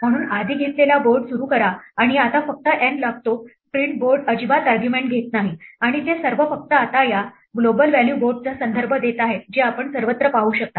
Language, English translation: Marathi, So initialize earlier took board and n now it just takes n print board does not taken argument at all and all of them are just referring to this global value board which you can see everywhere